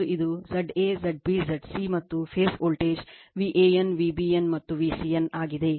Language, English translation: Kannada, And this is Z a, Z b, Z c, and this phase voltage V AN, V BN and V CN